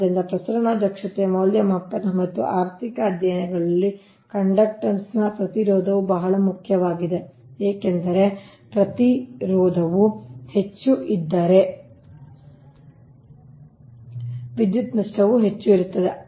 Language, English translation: Kannada, so resistance of the conductor is very important in transmission efficiency evaluation and economic studies, because if resistance is more, then power loss will be more